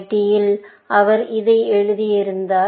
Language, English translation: Tamil, I think in MIT, he wrote this